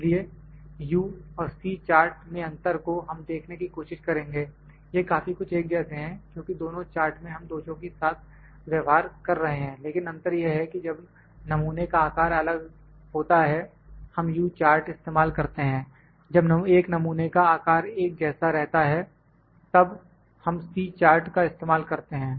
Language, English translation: Hindi, So, the difference between U and C chart will try to see these are very similar, because we are dealing with defects in both the charts, but the difference is that when the sample size is different we use U chart when a sample size is same, we use the C chart